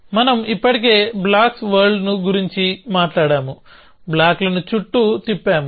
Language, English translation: Telugu, You know we already talked about blocks world, moving blocks around